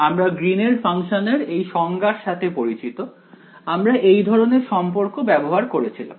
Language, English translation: Bengali, We were also familiar with the definition of the Green’s function; we had used this kind of a relation ok